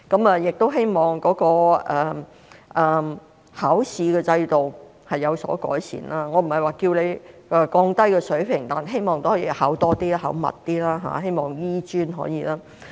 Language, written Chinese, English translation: Cantonese, 我希望考試的制度有所改善，我不是說要降低水平，但希望可以考多些、考密些，希望醫專可以做到。, I hope that the examination system can be improved . I am not saying that the standard should be lowered but I hope that more examinations can be arranged and they can be conducted more frequently . I hope HKAM can do so